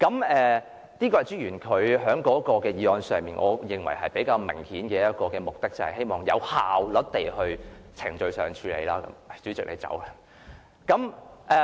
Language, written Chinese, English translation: Cantonese, 我認為朱議員的議案其中一個較為明顯的目的，就是希望有效率地在程序上作出處理。, I think one of the more obvious purposes of Mr CHUs motion is to deal with the proceedings efficiently